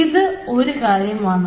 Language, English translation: Malayalam, this is one aspect